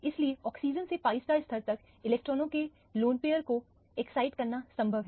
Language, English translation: Hindi, So, it is possible to excite the lone pair of electrons from the oxygen to the pi star level